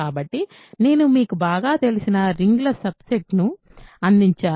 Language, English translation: Telugu, So, I have given you subsets of well known rings